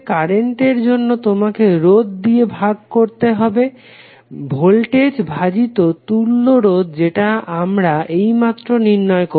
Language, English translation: Bengali, Current you have to just simply divide the resistor, the voltage by equivalent resistance which we have just calculated